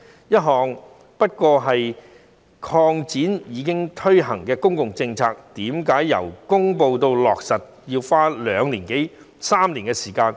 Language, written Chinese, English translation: Cantonese, 這只不過是擴展一項已推行的公共政策，為甚麼由公布至落實要花兩年多至三年時間？, This is a mere expansion of an established public policy . How come the period from the announcement to the implementation of the policy will be as long as two to three years?